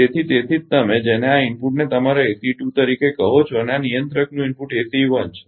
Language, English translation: Gujarati, So, that is why the your what you call this input to this your ah your ACE 2 and input to this controller is ACE 1